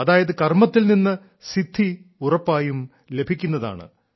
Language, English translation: Malayalam, This means Karma leads to Siddhi, attainment with certitude